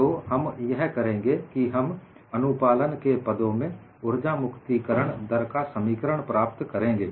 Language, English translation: Hindi, So, what we will now do is we would obtain expressions for energy release rate in terms of compliance